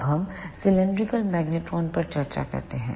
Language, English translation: Hindi, Now, let us discuss the cylindrical magnetron